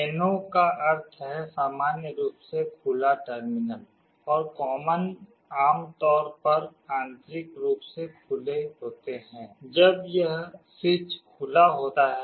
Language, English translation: Hindi, NO means normally open terminal and common are normally open internally, when this switch is open